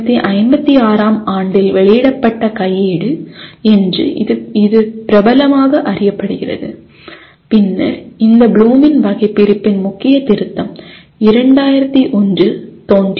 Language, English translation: Tamil, And in 1956 that is the book it is popularly known as handbook that was published and then a major revision of this Bloom’s taxonomy appeared in 2001